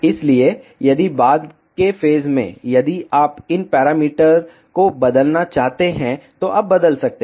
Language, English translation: Hindi, So, if at later stage, if you want to change these parameters, you can change